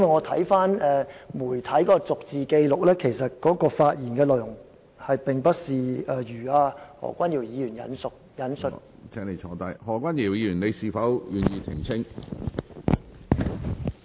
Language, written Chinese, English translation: Cantonese, 我翻查過媒體的逐字紀錄，發現他的發言內容與何君堯議員所引述的不符。, After looking up the verbatim recording of the press I found that there are discrepancies between the speech made by Benny TAI and the speech quoted by Dr Junius HO